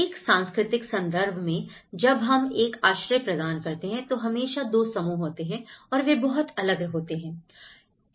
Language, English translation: Hindi, In a cultural context, when we are providing a shelter, there is always two and they are very distinct